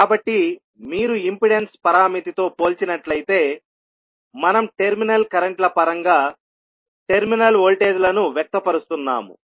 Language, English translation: Telugu, So, if you compare with the impedance parameter, where we are expressing the terminal voltages in terms of terminal currents